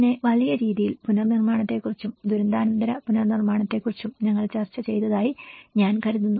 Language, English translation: Malayalam, And then in a large amount, I think in the whole course we discussed about the reconstruction, the post disaster reconstruction